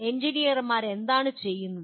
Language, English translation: Malayalam, What do engineers do